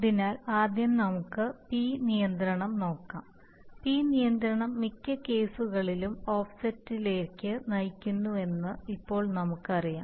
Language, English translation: Malayalam, So let us first look at the P control, now we already know that p control leads to offsets in most cases